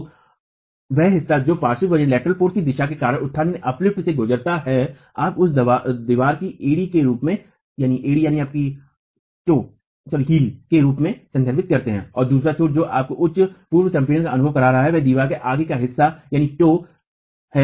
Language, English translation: Hindi, So, the portion that has undergone uplift because of the direction of the lateral force, we refer to that as the heel of the wall and the other end which is now experiencing higher pre compression is the toe of the wall